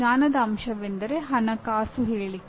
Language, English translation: Kannada, The knowledge element is financial statement